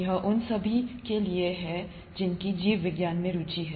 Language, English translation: Hindi, This is for anybody who has an interest in biology